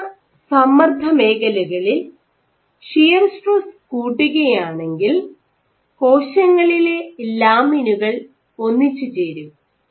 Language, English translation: Malayalam, Now, if you increase the shear stress at high stress zones, this actually the cells this lamin undergo aggregation